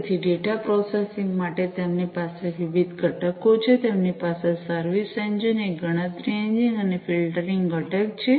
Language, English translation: Gujarati, So, for data processing they have different components, they have the service engine, a calculation engine, and filtering component